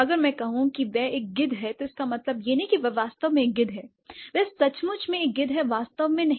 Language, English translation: Hindi, If I say he is a vulture, that doesn't mean that he is actually a vulture, he is literally a vulture, not really